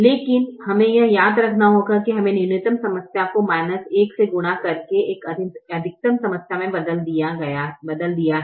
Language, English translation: Hindi, but we have to remember that we have converted a minimization problem to a maximization problem by multiplying with a minus one